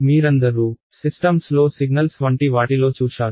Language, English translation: Telugu, And all of you have done the course on something like signals in systems